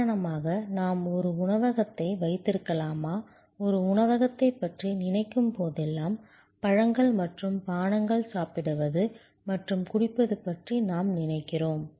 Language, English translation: Tamil, So, for example can we have a restaurant, whenever we think of a restaurant, we think of fruit and beverage, eating and drinking